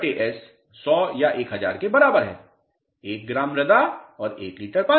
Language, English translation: Hindi, Let us say L by S equal to 100 or 1000; 1 gram of soil and 1 liter of water